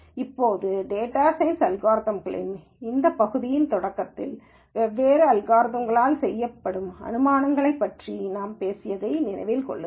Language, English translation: Tamil, Now remember at the beginning of this portion of data science algorithms I talked about the assumptions that are made by different algorithms